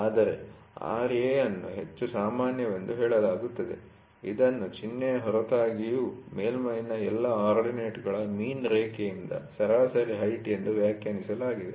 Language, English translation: Kannada, But Ra is said to be most common, it is defined as the average height from the mean line of all ordinates of the surface, regardless of the sign we try to get here